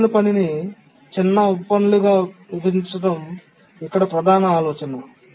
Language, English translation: Telugu, The main idea here is that we divide the critical task into smaller subtasks